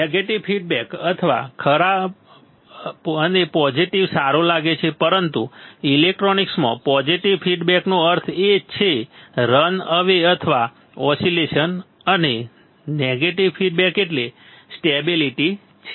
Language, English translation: Gujarati, Negative feedback seems bad positive good, but in electronics positive feedback means run away or oscillation and negative feedback means stability; stability, all right